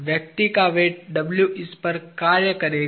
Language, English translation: Hindi, The person's weight W will be acting on this